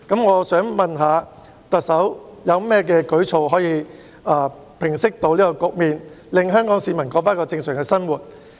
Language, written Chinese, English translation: Cantonese, 我想問特首有何舉措可以平息這局面，令香港市民可以重過正常生活？, May I ask what measures will the Chief Executive put in place to resolve the situation so that Hong Kong people can resume their normal lives?